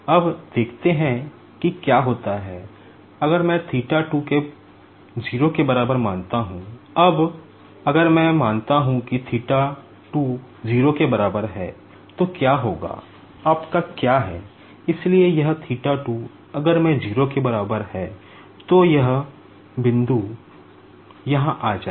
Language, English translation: Hindi, Now, let us see what happens, if I consider theta 2 equals to 0, now if I consider that theta 2 equals to 0, so what will happen is your, so this theta 2 if I put equals to 0, so this point will come here